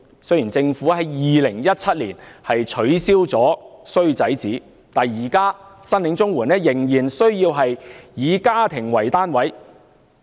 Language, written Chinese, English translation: Cantonese, 雖然政府在2017年取消了"衰仔紙"，但現時申領綜援仍須以家庭為單位。, Although the Government abolished the bad son statement in 2017 people still have to apply for CSSA on a household basis